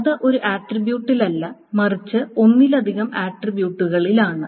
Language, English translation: Malayalam, So that is not on one attribute but on multiple attributes